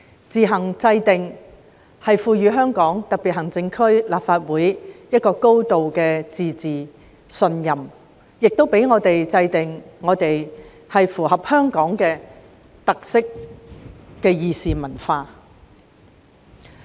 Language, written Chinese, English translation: Cantonese, "自行制定"的提述，代表賦予香港特別行政區立法會"高度自治"的信任，讓我們制訂符合香港特色的議事文化。, The wording make on its own implies the conferment of trust with a high degree of autonomy on the Legislative Council of the Hong Kong Special Administrative Region whereby we may cultivate a deliberative culture that ties in with Hong Kongs characteristics